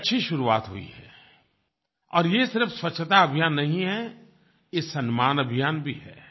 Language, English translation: Hindi, It has been a good start, and this is not only a Swachta Abhiyan, it also is Samman Abhiyan